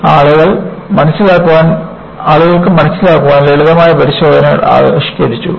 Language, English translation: Malayalam, So, people have devised a simple test to understand